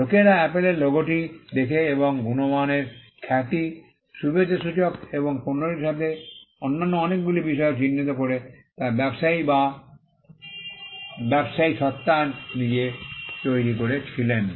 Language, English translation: Bengali, The fact that people look at the Apple logo and attribute quality reputation, goodwill and many other things to the product was created by the trader or by the business entity itself